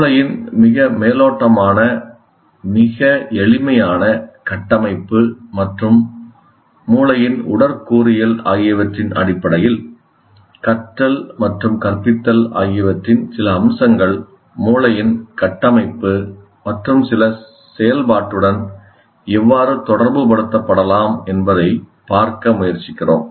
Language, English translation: Tamil, And here, as I said, what we are trying to do is based on the little bit of the very superficial, very simple structure of the brain and the anatomy of the brain, we are trying to see how some features of learning and teaching can be related to the structure and functioning of the brain